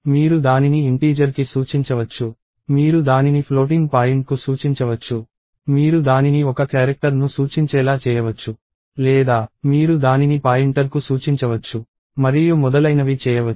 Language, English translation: Telugu, You can make it point to an integer, you can make it point to a floating point, you can make it to point a character or you can actually make it point to a pointer itself and so, on